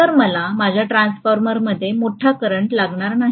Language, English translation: Marathi, So I am not going to require a large current in my transformer